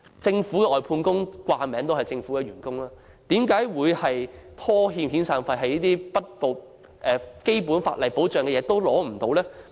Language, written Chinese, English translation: Cantonese, 政府外判工人其實為政府工作，為何會被拖欠遣散費，得不到最基本的法例保障？, The Governments outsourced workers actually worked for the Government . Why would they be owed their severance pay and not receive the most basic protection in law?